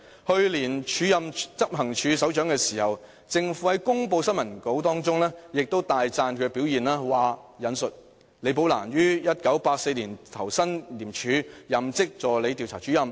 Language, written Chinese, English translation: Cantonese, 去年署任執行處首長時，政府在新聞稿中亦大讚其表現："李寶蘭於1984年投身廉署，任職助理調查主任。, When she was offered an acting appointment as Head of Operations last year the Government commended her very highly in the press release and I quote Ms LI commenced her career in the ICAC in 1984 as an Assistant Investigator